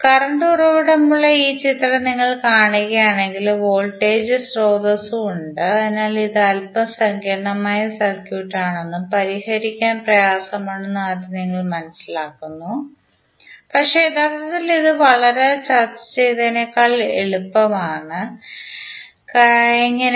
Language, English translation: Malayalam, If you see this figure where current source is there, voltage source is also there so at first instant you see that this is a little bit complicated circuit and difficult to solve but actually it is much easier than what we discussed till now, how